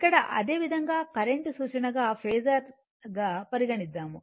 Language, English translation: Telugu, So, same thing here the current as reference phasor